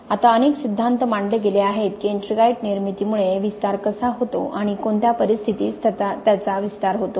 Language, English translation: Marathi, Now there have been several theories proposed as to how ettringite formation causes expansion and in what conditions does it cause expansion